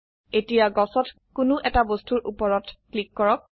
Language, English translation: Assamese, Now click on any object in the tree